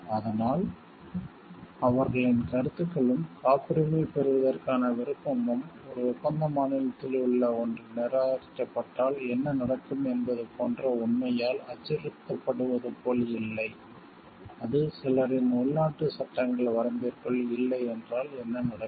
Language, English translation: Tamil, And so, that their ideas and the willingness to patent them is not, like threatened by the fact like what will happen if one in one contracting state it is rejected, what will happen if like it is not like within the maybe purview of the some of the domestic laws happening